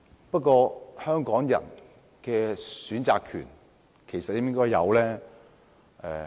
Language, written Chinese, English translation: Cantonese, 不過，香港人應否有選擇權？, Nevertheless should Hong Kong people have to right to choose?